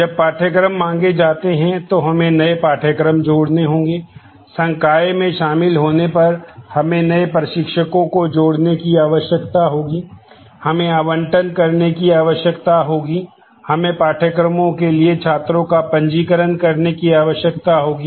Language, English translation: Hindi, We will need to add new courses when courses are floated; we will need to add new instructors when faculty join; we will need to do allotments; we will need to do registration of students for courses